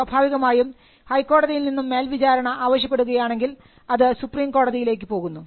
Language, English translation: Malayalam, And eventually if there is an appeal from the High Court, it can go to the Supreme Court as well